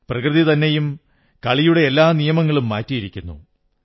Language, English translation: Malayalam, Nature has also changed the rules of the game